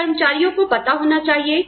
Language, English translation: Hindi, Should the employees know